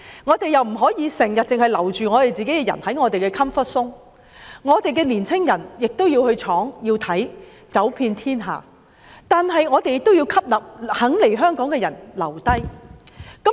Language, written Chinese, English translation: Cantonese, 我們不可以只留着本地人才在 "comfort zone" ，我們的青年人亦要往外闖，走遍天下，而我們亦要吸納願意來港的人才，令他們留下來。, We cannot only keep our local talents in their comfort zone . Our young people should also go global to venture into new horizons . At the same time we should include talents who are willing to come to and stay in Hong Kong